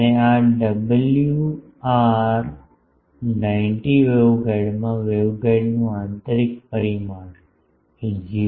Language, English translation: Gujarati, And this WR 90 waveguide has the inner dimension of the waveguide is a is 0